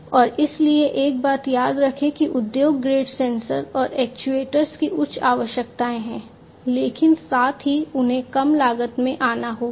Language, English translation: Hindi, And so remember one thing that industry grade sensors and actuators have higher requirements, but at the same time they have to come in lower cost